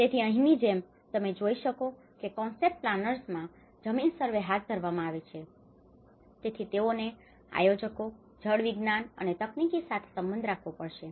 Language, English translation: Gujarati, So, like that here you can see that carrying out land surveys in concept planners, so they have to relate with the planners, hydrologist and the technical